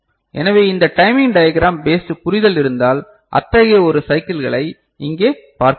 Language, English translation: Tamil, So, if you talk about this timing diagram based you know understanding then we look at one such cycle over here